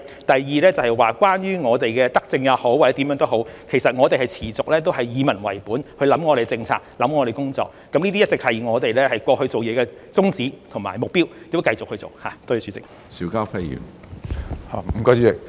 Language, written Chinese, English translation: Cantonese, 第二，關於我們的可說是德政也好或者措施也好，其實我們持續以民為本去思考我們的政策、思考我們的工作，這些一直是我們過去做事的宗旨和目標，將來亦會以此為本繼續去做。, Secondly regarding this benevolent policy so to speak or measure we will continue to contemplate our policies and our work in a people - oriented manner . These have been the goals and objectives of our work in the past and we will continue to do so in the future